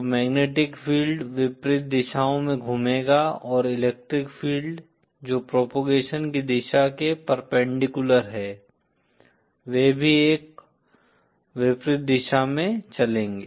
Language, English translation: Hindi, So the magnetic field will rotate in the opposite directions and the electric fields which are perpendicular to the direction of propagation, they will also be oriented in an opposite direction